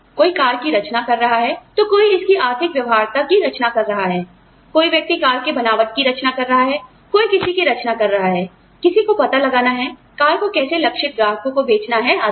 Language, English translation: Hindi, Somebody is designing the car, somebody is designing the economic feasibility of the car, somebody is designing the sturdiness of the car, somebody is designing, somebody is figuring out, how to sell the car, to the target customers, etc